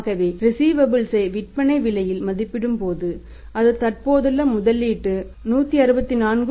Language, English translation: Tamil, So, that is when the receivables are valued at the selling price that is the existing investment 164